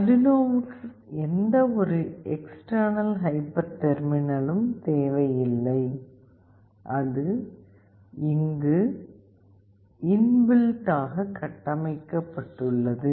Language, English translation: Tamil, Arduino has a good feature that it does not require any external hyper terminal, it is in built there